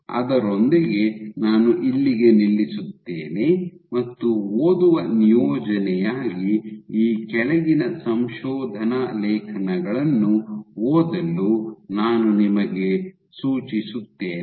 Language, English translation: Kannada, With that I stop here as reading assignment, I suggest you to read the following to papers